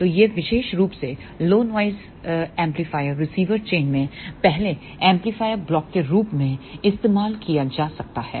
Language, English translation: Hindi, So, this particular low noise amplifier can be used as the first amplifier block in the receiver chain